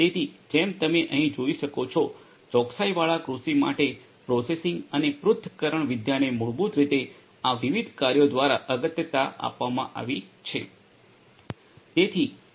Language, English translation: Gujarati, So, as you can see over here processing and analytics for precision agriculture is basically emphasized through these different works